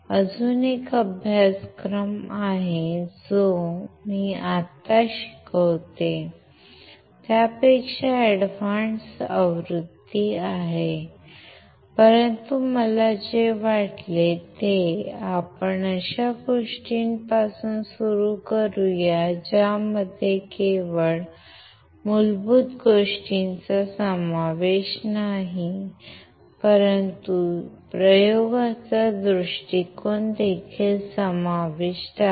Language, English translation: Marathi, There is another course which is advance version than what I am teaching right now, but what I thought is let us start with something which covers not only basics, but also covers the experiment point of view